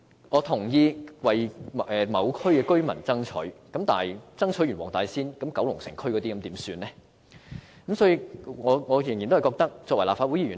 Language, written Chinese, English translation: Cantonese, 我同意為某區的居民爭取，但為黃大仙區的居民爭取後，九龍城區的居民又怎麼辦呢？, I agree that we should fight for residents of a certain district . But after we have fought for residents of the Wong Tai Sin District what about those residents of the Kowloon City district?